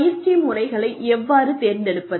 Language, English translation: Tamil, How do you select, training methods